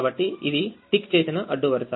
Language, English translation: Telugu, this is a ticked column